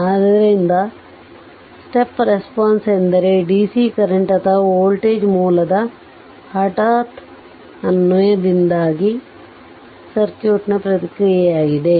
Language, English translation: Kannada, And so, the step response is the response of the circuit due to a sudden application of a dccurrent or voltage source